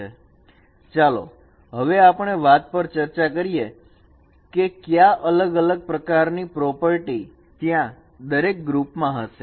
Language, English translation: Gujarati, Let us discuss that what different kinds of properties are there for each group